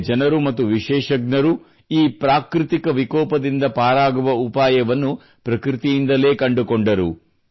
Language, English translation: Kannada, The people here and the experts found the mitigation from this natural disaster through nature itself